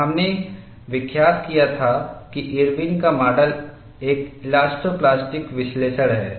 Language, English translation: Hindi, And we had noted that Irwin’s model is an elasto plastic analysis and this we have set this as an elastic analysis